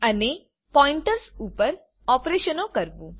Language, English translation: Gujarati, And operations on Pointers